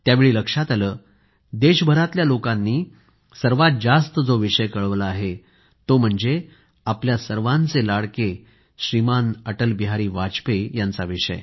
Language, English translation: Marathi, The subject about which most of the people from across the country have written is "Our revered AtalBehari Vajpayee"